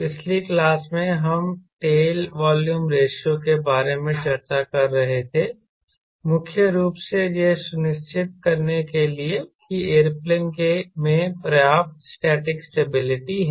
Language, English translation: Hindi, in the last class we were discussing about del volume ratio, primarily to ensure that the airplane has adequate static stability